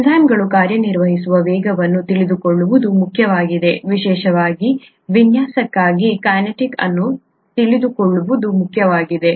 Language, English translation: Kannada, The speeds at which enzymes act are important to know, the kinetics is important to know of especially for design